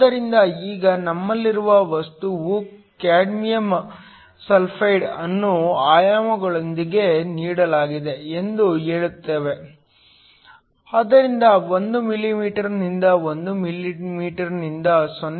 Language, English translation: Kannada, So, Now, we say that the material we have is cadmium sulfide with dimensions are essentially given, so 1 millimeter by 1 millimeter by 0